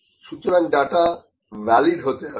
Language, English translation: Bengali, So, the data has to be valid